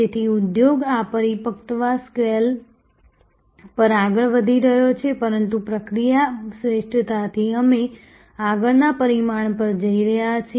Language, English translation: Gujarati, So, the industry is moving on this maturity scale, but from process excellence we are going to the next dimension